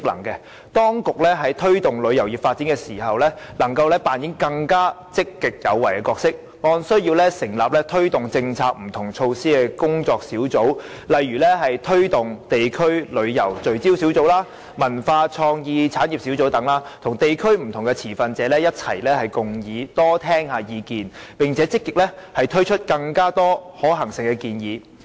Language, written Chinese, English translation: Cantonese, 此外，在推動旅遊業發展時，當局可扮演更積極有為的角色，按需要成立工作小組推動各項政策和措施，例如成立推動地區旅遊聚焦小組、文化創意產業小組等，與地區及不同持份者共議，多聆聽意見，並積極提出更多可行性的建議。, Moreover in the promotion of the development of the tourism industry the authorities may play a more proactive role . Working groups may be set up according to needs to promote various policies and measures . For instance focus groups on promoting district tourism and task forces on the cultural and creative industries may be set up to conduct discussions with district members and stakeholders to listen to more views and put forth more feasible proposals proactively